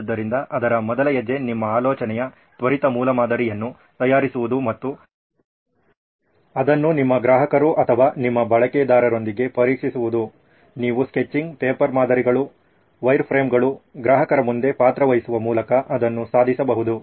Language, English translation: Kannada, So the first step in that is to make a quick prototype of your idea and test it with your customers or your users, you can achieve that by sketching, paper models, wireframes, role plays in front of the customer